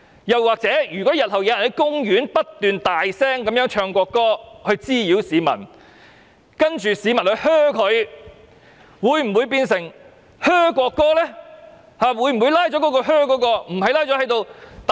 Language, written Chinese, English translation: Cantonese, 如果日後有人在公園不斷大聲高唱國歌滋擾市民，然後市民發出噓聲，這樣又會否變成噓國歌呢？, If in future a person keeps singing the national anthem loudly in the park and causes disturbances to the other people and if the latter boo will this be regarded as booing the national anthem?